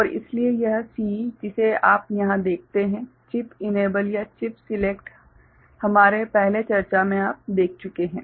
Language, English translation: Hindi, And so, this CE that you see over here chip enable or chip select in our earlier discussion